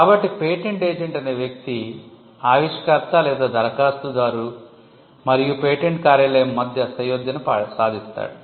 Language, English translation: Telugu, So, the patent agent will be the point of contact between the inventor or the applicant and the patent office